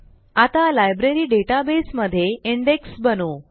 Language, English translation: Marathi, Now let us create an index in our example Library database